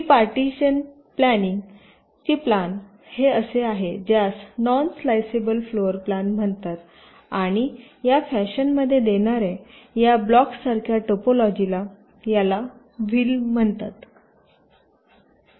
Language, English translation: Marathi, this is something which is called a non sliceable floor plan and a topology like this, five blocks which are oriented in this fashion